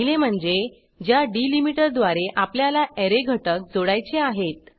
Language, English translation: Marathi, 1st is the delimiter by which the Array elements needs to be joined